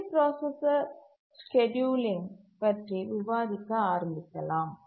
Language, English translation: Tamil, Let's now start discussing about multiprocessor scheduling